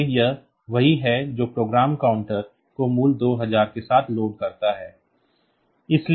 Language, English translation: Hindi, So, this is what it does it loads the program counter with the value 2000